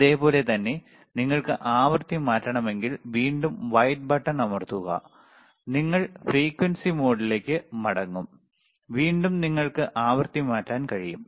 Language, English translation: Malayalam, And same way if you want to change the frequency, again press the white button, and you are back to the frequency mode, again you can change the frequency, excellent